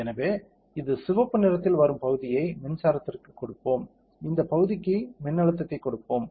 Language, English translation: Tamil, So, as this let us give electric the region coming in red colour, let us give this region the voltage